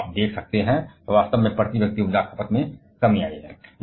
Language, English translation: Hindi, Here you can see that is in fact, a reduction in the per capita energy consumption